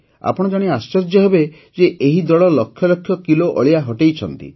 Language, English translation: Odia, You will be surprised to know that this team has cleared lakhs of kilos of garbage